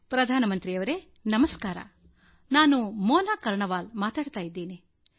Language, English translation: Kannada, Prime Minister Namaskar, I am Mona Karnwal from Bijnore